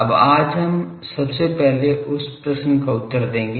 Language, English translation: Hindi, Now, today we will first start with answering that question